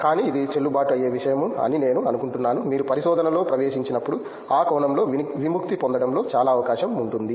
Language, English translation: Telugu, But I think that’s a valid point that when you get into research it is much more open in liberating in that sense you can